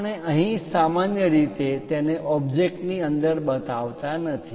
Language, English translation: Gujarati, We usually do not show it here inside the object